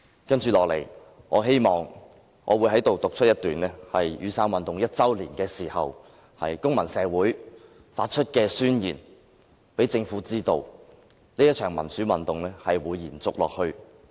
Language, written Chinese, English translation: Cantonese, 我接着在此讀出一段在雨傘運動1周年時公民社會發出的宣言，讓政府知道這一場民主運動會延續下去。, Next I am going to read out a paragraph from a manifesto issued by civil society on the first anniversary of the Umbrella Movement so as to let the Government know that this pro - democracy movement will simply go on